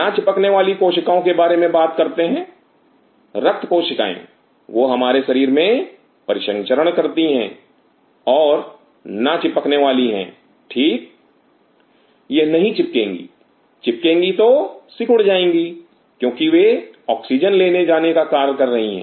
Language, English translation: Hindi, Now talking about the Non adhering cells, blood cells they are circulating in your body and Non adhering right, they do not adhere they adhere than will collapse right because they are to carry oxygen